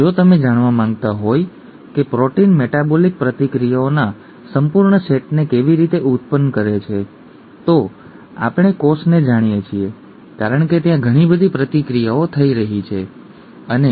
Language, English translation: Gujarati, If you know the complete set of metabolic reactions that the proteins catalyse through and so on so forth, we know the cell because there are so many interactions that are taking place and so on